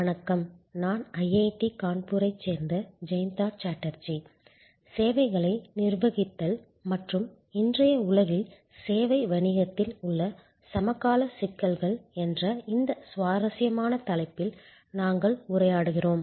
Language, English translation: Tamil, Hello, I am Jayanta Chatterjee from IIT, Kanpur and we are interacting on this interesting topic of Managing Services and the contemporary issues in the service business in today’s world